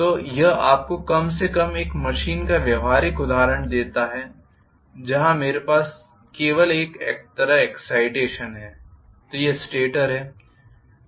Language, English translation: Hindi, So, this gives you at least the practical example of a machine where I have only one side excitation, so this is the stator